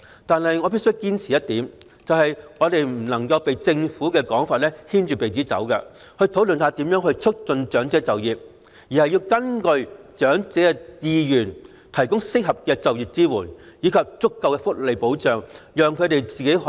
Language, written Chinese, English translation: Cantonese, 但我必須堅持一點，就是我們在討論如何促進長者就業時不能被政府的說法牽着鼻子走，而是要根據長者的意願提供合適的就業支援和足夠的福利保障，讓他們可以選擇自己的人生和生活。, But I must insist on the point that when discussing ways to promote elderly employment instead of letting the Government lead us by the nose we should offer appropriate employment support and adequate welfare protection according to the wishes of the elderly thereby enabling them to choose their own life and lifestyle